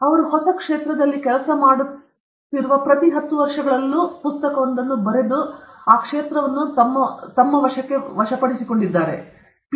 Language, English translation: Kannada, Every ten years he has worked in a new field, wrote a book, conquered the field, and then, moved on okay